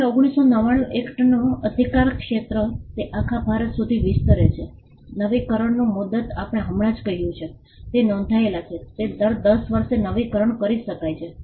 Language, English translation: Gujarati, Now the jurisdiction of the 1999 act, it extends to the whole of India, the term of renewal as we just mentioned, if it is registered, it can be renewed every 10 years